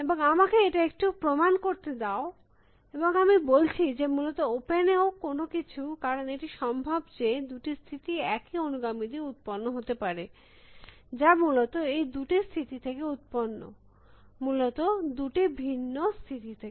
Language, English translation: Bengali, And let me prove upon that the little bit and say even anything in open essentially, because it is possible that two states may be generated by the same successors may be generated by two states essentially, two different states essentially